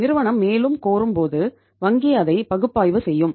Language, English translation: Tamil, Firm will demand more, bank would then analyze it